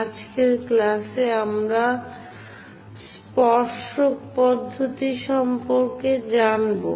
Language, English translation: Bengali, In today's class, we will learn about tangent method